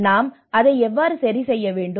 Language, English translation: Tamil, So how we have to adjust with that